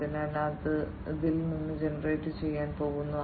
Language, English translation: Malayalam, So, that is going to be generated out of it